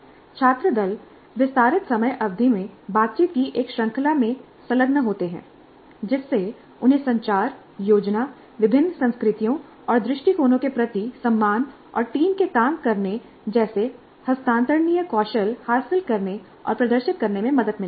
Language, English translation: Hindi, Student teams engage in a series of interaction or extended time periods, leading them to acquire and demonstrate transferable skills such as communication, planning, respect for different cultures and viewpoints and teamworking